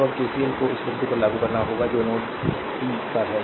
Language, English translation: Hindi, So now we have to ah we have to apply KCL at point that is at node p, right